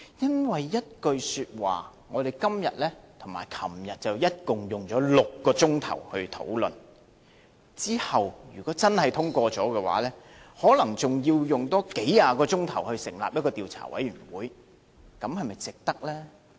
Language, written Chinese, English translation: Cantonese, 因為一句說話，我們今天和昨天總共花了6個小時討論，如果真的獲得通過的話，可能還要再花數十小時成立一個調查委員會進行調查，這是否值得呢？, Just for the sake of a single sentence then we spent a total of six hours yesterday and today on discussing it . If it is really being passed we may have to spend another several tens of hours on forming an investigation committee to look into it is it worthwhile?